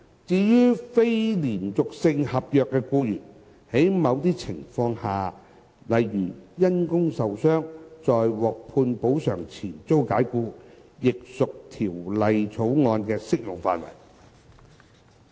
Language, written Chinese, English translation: Cantonese, 至於非連續性合約僱員，在某些情況下，例如因工受傷在獲判補償前遭解僱，亦屬《條例草案》的適用範圍。, Employees who are not employed under a continuous contract are also covered by the Bill under certain circumstances such as the dismissal of employees with work - related injury before the award of compensation